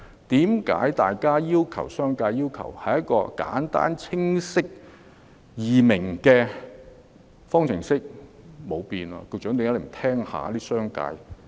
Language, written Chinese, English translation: Cantonese, 商界只是要求一道簡單、清晰易明的方程式，但最終卻不經修改。, The business sector only asks for a simple clear and easy - to - understand formula but the formula remains unchanged